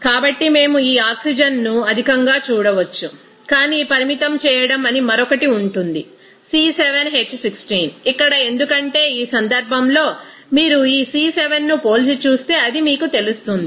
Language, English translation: Telugu, So, we can see that oxygen in but excess but the limiting will be that other one that is C7H16 here, because in this case you will see that this C7 if we compare that it will be you know less than that feed